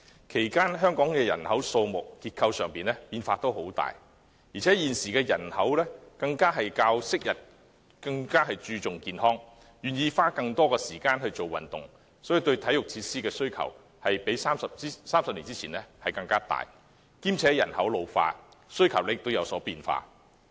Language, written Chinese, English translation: Cantonese, 其間，香港人口數目及結構出現很大變化，而且現今市民較昔日更注重健康，願意花更多時間做運動，對體育設施的需求比30年前大；加上人口老化，需求亦有所變化。, Furthermore the public nowadays are even more health conscious than before . As they are more willing to spend time on exercise there is a stronger demand for sports facilities compared with that 30 years ago . Population ageing has also resulted in changes in demand